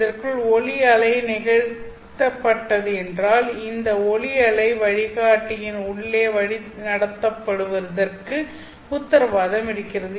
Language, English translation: Tamil, So, within which if your light wave is incident, then this light wave is guaranteed to be guided inside the wave guide